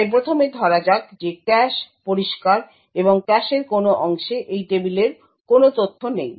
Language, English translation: Bengali, So first let us assume that the cache is clean, and no part of the cache comprises contains any of this table information